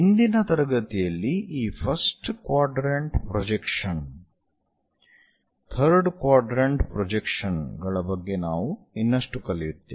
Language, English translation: Kannada, So, in today's class we will learn more about this first quadrant projections